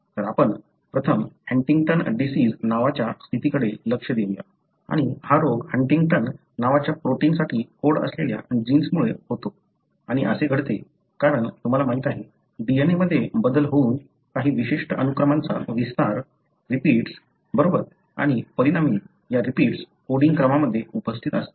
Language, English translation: Marathi, So, let us first look into a condition called Huntington disease and this disease is caused by a gene which codes for a protein called Huntingtin and this happens, because of, you know, a change in the DNA resulting in expansion of certain unique sequences, repeats, right and as a result, these repeats are present in the coding sequence